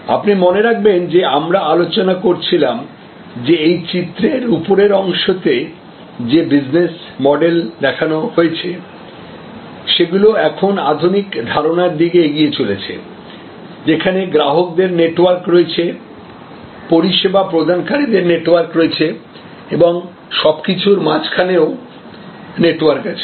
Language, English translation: Bengali, You would remember that we have been discussing that this upper echelon, the kind of model business model represented by the upper part of this picture is now giving way to the modern concept, where we have networks of customers, we have networks of service providers and in the middle, we have also network